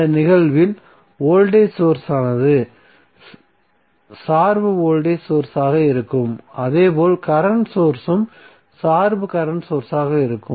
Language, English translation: Tamil, In this case voltage source would be dependent voltage source similarly current source would also be the dependent current source